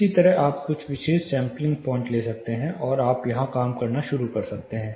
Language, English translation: Hindi, Likewise you can take few specific sampling points and start working here